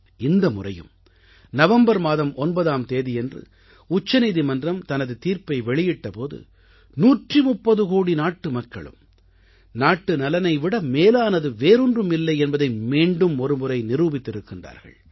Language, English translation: Tamil, This time too, when the Supreme Court pronounced its judgment on 9th November, 130 crore Indians once again proved, that for them, national interest is supreme